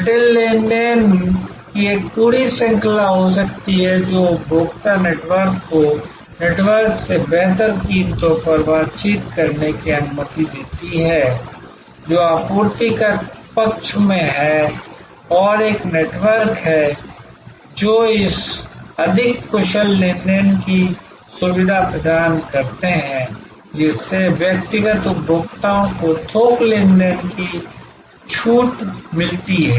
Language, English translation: Hindi, A whole range of complex transactions can take place, which allows the consumer network to negotiate better prices from the network, which is on the supply side and there are networks, which facilitate this more efficient transaction, bringing bulk transaction discount to individual consumers